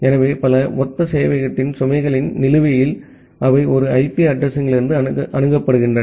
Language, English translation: Tamil, So, balances of load of multiple identical server, they are accessible from a single IP address